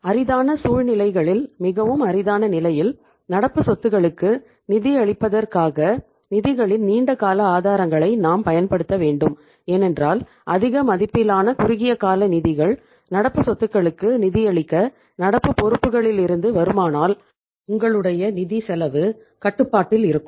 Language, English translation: Tamil, In the very rarest amongst rare situations we should use the long term sources of the funds for funding the current assets because if you have the more say say the larger magnitude of the short term funds the funds coming from the current liabilities to fund the current assets your cost of funds will be under control